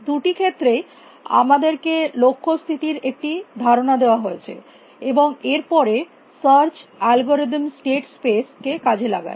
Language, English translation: Bengali, given some idea about the goal state, and then the search algorithm explode the state space